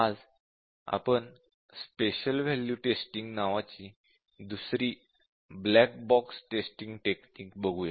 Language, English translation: Marathi, Today, we look at another black box testing strategy called as special value testing